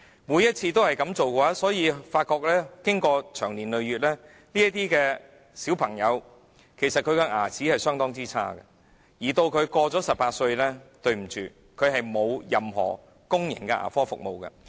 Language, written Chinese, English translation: Cantonese, 每次的情況也是這樣，因此長年累月下來，這些兒童的牙齒是相當差的，而當他們年滿18歲後，便不能使用任何公共牙科服務。, The same thing happens each time so over time the condition of these childrens teeth becomes quite bad and when they reach 18 years of age they can no longer use any public dental service